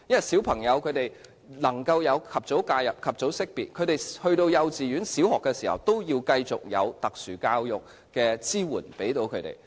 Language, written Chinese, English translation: Cantonese, 小朋友若能及早獲得介入和識別，入讀幼稚園或小學時都繼續需要特殊教育的支援。, If children can receive early identification and early intervention they still require the support of special education when they enter kindergartens or primary schools